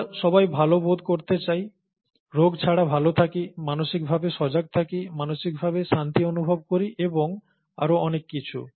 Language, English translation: Bengali, We all, all of us would like to feel good you know, be good without diseases, mentally be alert, mentally be mentally feel at peace and so on